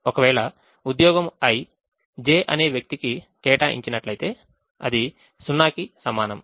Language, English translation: Telugu, if job i is assigned to person j, its equal to zero, otherwise